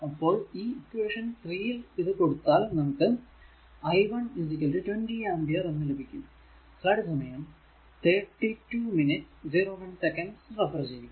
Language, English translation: Malayalam, So, you will get after solving, you will get i 1 is equal to 20 ampere